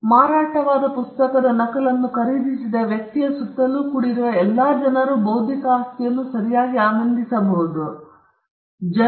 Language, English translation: Kannada, So, all the people who crowded around a person who bought a copy of a bestselling book equally enjoy the intellectual property right